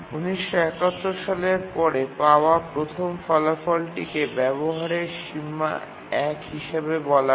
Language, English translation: Bengali, The first result available since long time, 1971 I think, is called as the utilization bound one